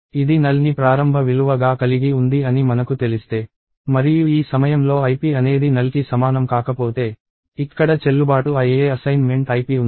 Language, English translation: Telugu, If I know that it was initialized to null and at this point if ip is not equal to null, then there was a valid assignment ip that happen here